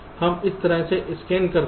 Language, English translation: Hindi, we are scanning in